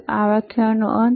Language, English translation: Gujarati, So, this end of this lecture